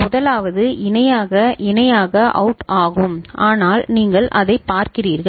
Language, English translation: Tamil, The first one is parallel in parallel out, but then you see that